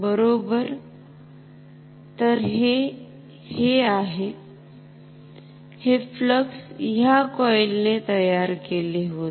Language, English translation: Marathi, So, this is this, these are the flux created by this coil